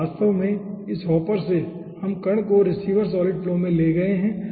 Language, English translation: Hindi, so actually, from this hopper we have carried for what the particle in the receiver, solid flow